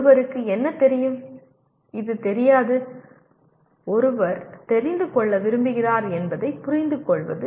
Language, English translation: Tamil, Understanding what one knows and what one does not know and what one wants to know